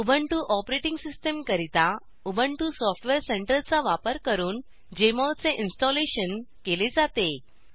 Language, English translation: Marathi, I have already installed Jmol Application on my system using Ubuntu Software Center